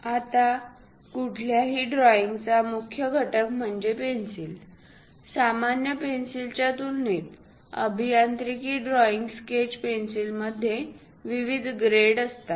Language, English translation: Marathi, Now the key component for any drawing is pencil ; compared to the ordinary pencils, the engineering drawing sketch pencils consists of different grades